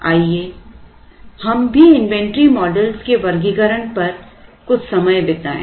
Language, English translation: Hindi, Let us also spend some time on the classification of inventory models